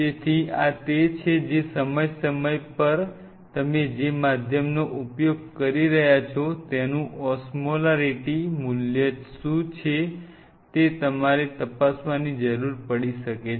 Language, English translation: Gujarati, So, this is something which time to time you may need to check that what is the Osmolarity value of the medium what you are using